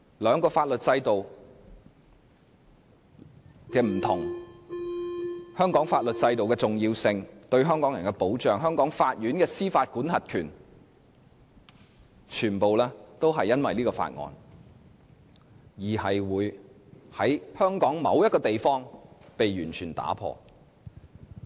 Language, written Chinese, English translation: Cantonese, 兩個法律制度的不一樣、香港法律制度的重要性、其對香港人的保障、香港法院的司法管轄權，全部也因為這項《條例草案》，在香港某個地方被完全打破。, By doing so in a certain part of Hong Kong the differences between the two legal systems the importance of the Hong Kong legal system its protection for Hong Kong people as well as Hong Kong courts jurisdiction will completely be removed by this Bill